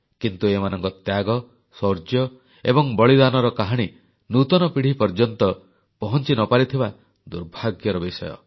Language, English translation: Odia, But it's a misfortune that these tales of valour and sacrifice did not reach the new generations